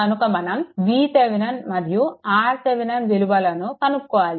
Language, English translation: Telugu, So, after getting V Thevenin and R Thevenin, let me clear it